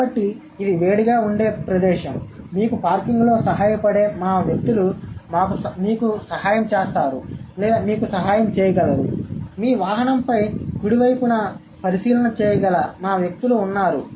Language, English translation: Telugu, So, since this is a heated place, we have help or we have our people who can assist you in parking or who can help you or who can keep a check on your vehicle, right